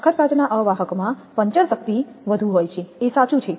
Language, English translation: Gujarati, The toughened glass insulators have greater puncture strength this is true